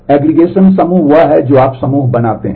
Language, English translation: Hindi, Aggregation group that is whatever you do group by kind of